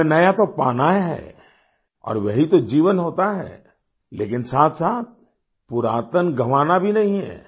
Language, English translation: Hindi, We have to attain the new… for that is what life is but at the same time we don't have to lose our past